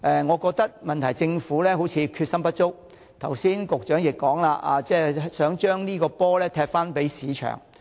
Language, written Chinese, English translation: Cantonese, 我認為，問題是政府決心不足，剛才局長亦提到，想將這個"波"踢給市場。, I think the problem lies in the Governments lack of determination . The Secretary for the Environment has just mentioned that the Government would leave the matter to the market